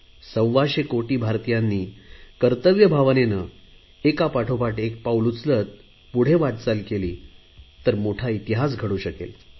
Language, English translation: Marathi, If 125 crore Indians take dutiful steps one after the other, they can make history